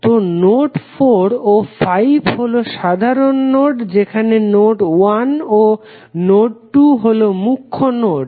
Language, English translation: Bengali, So node 4, node 5 are the simple nodes while node 1 and node 2 are principal nodes